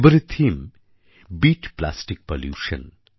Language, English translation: Bengali, This time the theme is 'Beat Plastic Pollution'